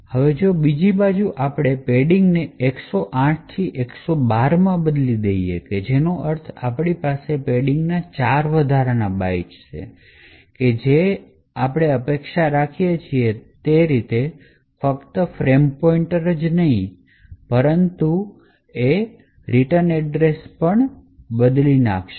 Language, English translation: Gujarati, Now if on the other hand we change padding from 108 to 112 which means that we have four extra bytes of padding, what we can expect is that it is not just the frame pointer that gets manipulated but also the adjacent memory which essentially is the return address would also get modified